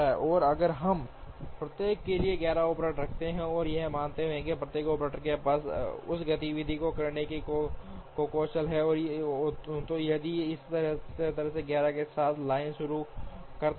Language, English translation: Hindi, And if, we put 11 operators one for each and assuming that each operator has the skill to do that activity, then if we start the line with 11 like this